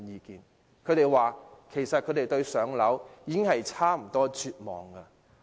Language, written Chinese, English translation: Cantonese, 他們表示對"上車"已差不多絕望。, They told me that they have almost lost hope of achieving home ownership